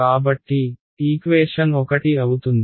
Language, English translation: Telugu, So, equation one will become